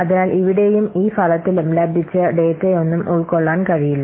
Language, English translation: Malayalam, So here, and this result cannot contain any derived data